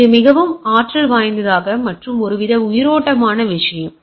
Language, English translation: Tamil, So, this is a very dynamic and some sort of a lively thing